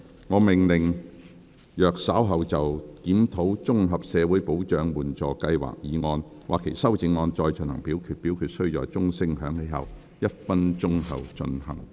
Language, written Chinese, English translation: Cantonese, 我命令若稍後就"檢討綜合社會保障援助計劃"所提出的議案或修正案再進行點名表決，表決須在鐘聲響起1分鐘後進行。, I order that in the event of further divisions being claimed in respect of the motion on Reviewing the Comprehensive Social Security Assistance Scheme or any amendments thereto this Council do proceed to each of such divisions immediately after the division bell has been rung for one minute